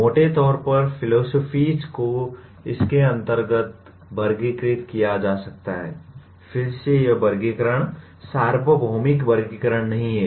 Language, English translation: Hindi, Broadly, the philosophies can be classified under, again this classification is not the universal classification